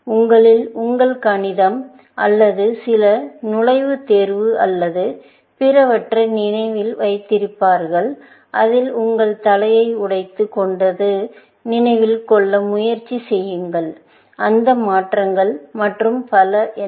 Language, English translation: Tamil, Those of you, who remember doing your Maths or some entrance exam or the other, you would remember that you have to break your head; try to remember, what are those transformations and so on